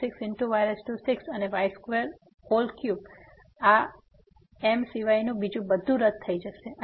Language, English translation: Gujarati, So, everything other than this will cancel out